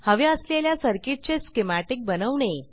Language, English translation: Marathi, We will create circuit schematics here